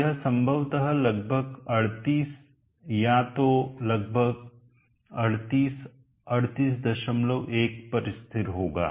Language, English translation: Hindi, 4, so it will probably stabilize at around 38 or so yeah around 38 38